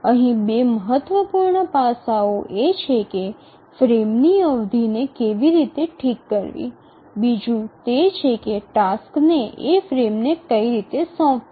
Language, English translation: Gujarati, Two important aspects here, one is how to fix the frame duration, the second is about assigning tasks to the frames